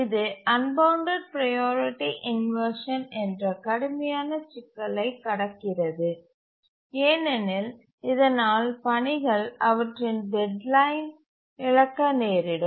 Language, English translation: Tamil, It does overcome the unbounded priority inversion problem which is a severe problem can cause tasks to miss their deadline